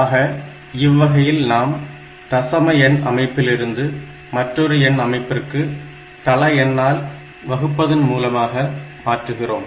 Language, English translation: Tamil, So, this way you can convert any number from decimal number system to other number systems by dividing it by the base of the number system